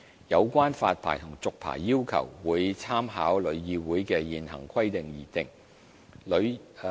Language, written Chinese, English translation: Cantonese, 有關發牌和續牌的要求，會參考旅議會的現行規定而訂。, The requirements for issuing and renewing licences will be drawn up with reference to TICs current requirements